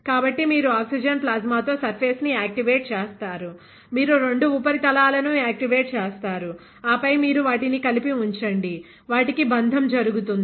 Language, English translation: Telugu, So, you activate the surface with oxygen plasma, you activate both the surfaces, and then you put them together, they will bond; that is another process ok